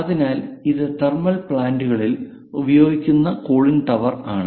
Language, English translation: Malayalam, So, this is one kind of cooling tower utilized for thermal plants